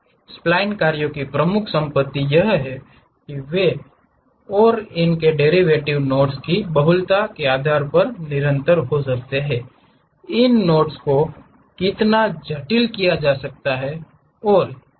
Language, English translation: Hindi, The key property of spline functions is that they and their derivatives may be continuous depending on the multiplicity of knots, how complicated these knots we might be having smooth curves